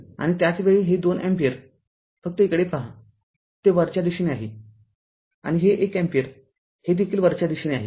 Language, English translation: Marathi, And at the same time this 2 ampere just look into this; this 2 ampere, it is upward right; and this 1 ampere, it is also upward